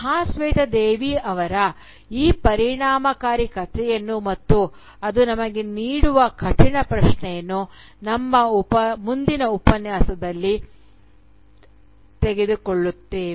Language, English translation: Kannada, We will take up this powerful story of Mahasweta Devi, as well as the difficult question it raises for us, in our next lecture